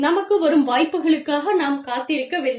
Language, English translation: Tamil, We are not, you know, we are not waiting for opportunities, to come to us